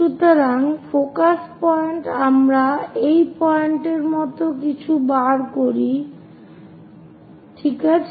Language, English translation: Bengali, So, focus point we locate something like this point oh oh ok